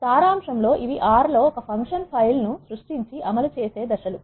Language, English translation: Telugu, In summary these are the steps in creating a function file in R and executing